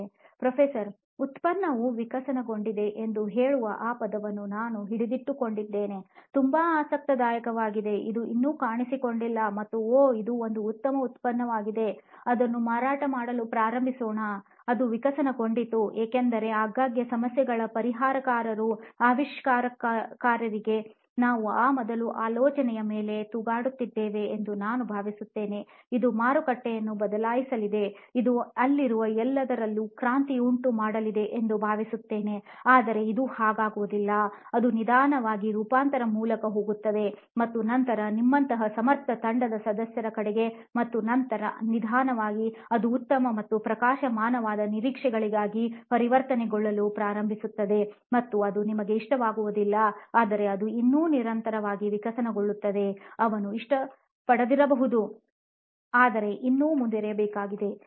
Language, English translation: Kannada, So interesting, I will hold on to that word saying the product evolved, it did not just appear and said oh this is a great product let us start selling it, it actually evolved, I really like what you said because often times as inventors as problems solvers we get hung up on that first idea and we think this is it, this is going to change the market, you know this is going to revolutionize everything that is out there, but it is usually not the case, it actually it slowly goes through a transformation first in your head then you know with able team members like yours and then slowly it starts transitioning into better and brighter prospects then it is and you do not like it but it still continuously evolves also, he may not like it but still has to go on, okay nice